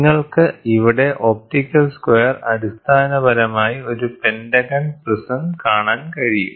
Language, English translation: Malayalam, So, you can see here, an optical square is essentially a pentagonal prism pentaprism